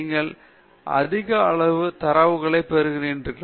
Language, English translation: Tamil, You are getting huge amount of data